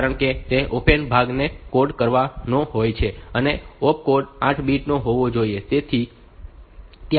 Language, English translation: Gujarati, Because that is a opcode part has to be coded and the opcode should be 8 bit